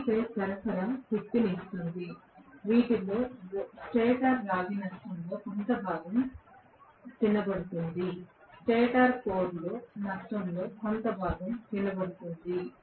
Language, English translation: Telugu, 3 phase supply is giving the power out of which some chunk has been eaten away by rotor a stator copper loss; some chunk has been eaten away by stator core loss